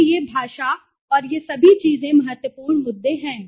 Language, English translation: Hindi, So, language and all these things are important issues